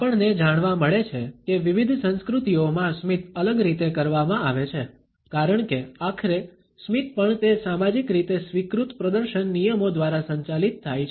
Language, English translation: Gujarati, We find that in different cultures a smile is practiced differently, because ultimately smile is also governed by that socially accepted display rules